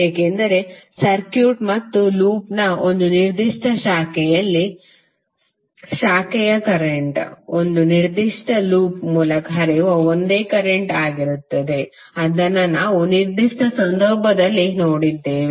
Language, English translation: Kannada, Because branch current flows in a particular branch of the circuit and loop will be same current flowing through a particular loop which we have just saw in the particular case